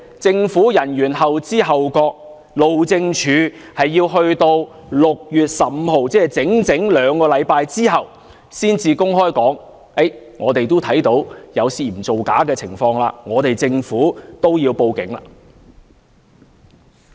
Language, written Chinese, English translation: Cantonese, 政府人員後知後覺，路政署要待到整整兩星期後的6月15日才公開說看到有涉嫌造假的情況，政府亦要報警。, Government officials responded slowly for it took the HyD two whole weeks to admit to the public on 15 June that there were suspected fraudulent acts and that the Government would also report the case to the Police